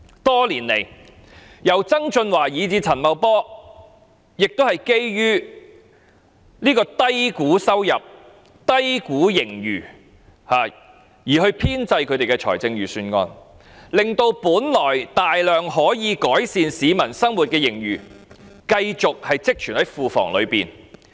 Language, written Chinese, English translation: Cantonese, 多年來，由曾俊華以至陳茂波，也是基於低估收入、低估盈餘而編製他們的預算案，令本來大量可以改善市民生活的盈餘，繼續積存在庫房內。, Over the years from John TSANG to Paul CHAN the Financial Secretary has been underestimating the revenue and underestimating the surplus in the compilation of the budget so that the surplus which could have been used for the improvement of peoples living continues to be kept in the coffers